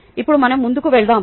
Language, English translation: Telugu, now let us move forward